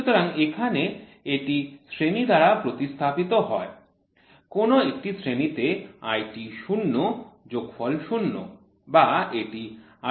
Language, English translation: Bengali, So, now this is replaced by a grade which grade is IT0 sum 1 or it can be IT xx